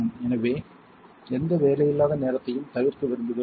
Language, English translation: Tamil, So, we want to avoid any downtime